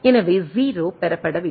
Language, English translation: Tamil, So, is not received a 0